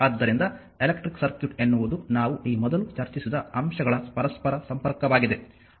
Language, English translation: Kannada, So, an electric circuit is simply an interconnection of the elements earlier we have discussed above this right